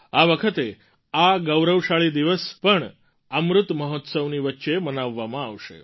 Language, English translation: Gujarati, This time this pride filled day will be celebrated amid Amrit Mahotsav